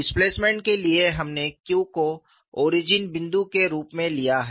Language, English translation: Hindi, For the displacement, we have taken Q as the origin